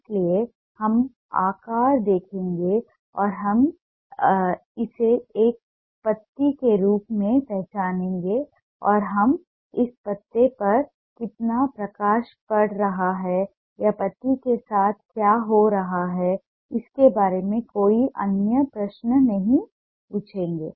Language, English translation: Hindi, so we'll see the shape and we'll identify it as a leaf and we will not ask any other questions regarding how much light is falling on this leaf or what other things happening with then leaf